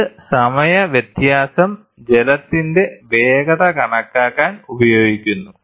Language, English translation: Malayalam, The time difference is used to calculate the water speed